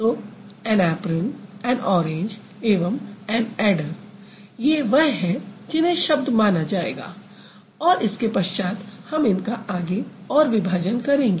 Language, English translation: Hindi, So, an apron, and orange and an order, these are the ones which would be considered as words and then after that we are going to break it into further pieces